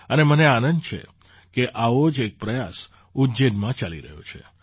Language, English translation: Gujarati, And I am happy that one such effort is going on in Ujjain these days